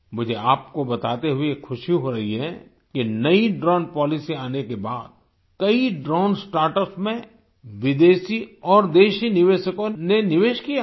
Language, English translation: Hindi, I am happy to inform you that after the introduction of the new drone policy, foreign and domestic investors have invested in many drone startups